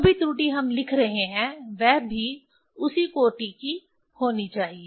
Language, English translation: Hindi, Error also whatever we are writing, that has to be of the same order